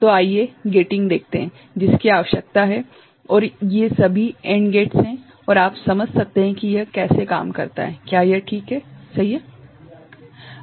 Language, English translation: Hindi, So, this is also something, the gating, that is required and these are all AND gates you can understand that how it works, is it fine, right